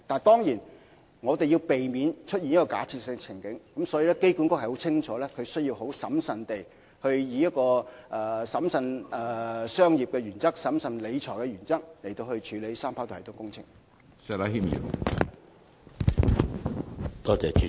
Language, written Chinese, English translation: Cantonese, 當然，我們要避免出現這個假設性的處境，所以機管局深切明白，必須以審慎商業的原則、審慎理財的原則處理三跑道系統工程。, Of course we must avoid such a hypothetical scenario and AA fully understands that the 3RS project must be handled according to the principles of prudent commerce and prudent financial management